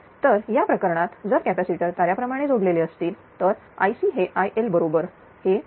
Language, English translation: Marathi, So, in that case if the capacitors are star connected then I C is equal to I L is equal to 23